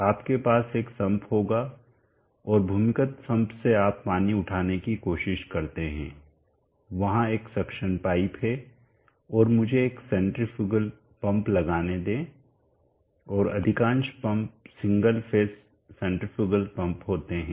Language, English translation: Hindi, You will have sum and from the underground sum you will try to lift water, there is a suction pipe and let me put a centrifugal pump and most of the pumps will be having a single phase centrifugal pump